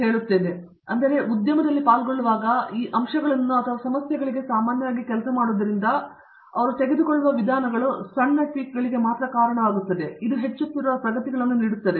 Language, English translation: Kannada, So, when the industry is participating, working on those aspects or problems usually, as I mentioned the approaches they take are only leading to small tweaks which will give incremental advances